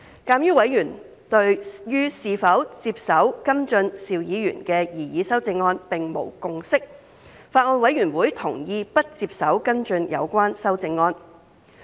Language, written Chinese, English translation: Cantonese, 鑒於委員對於是否接手跟進邵議員的擬議修正案並無共識，法案委員會同意不接手跟進有關修正案。, Given that there is no consensus among members on whether the Bills Committee should take over Mr SHIUs proposed amendments the Bills Committee has agreed not to do so